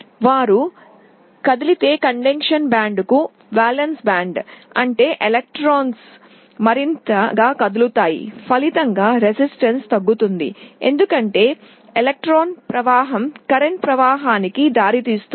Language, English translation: Telugu, Valence band to conduction band if they move; that means, electrons become more mobile resulting in a reduction in resistance because flow of electrons result in a flow of current